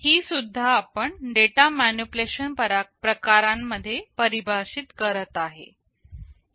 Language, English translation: Marathi, This also we are defining under the data manipulation category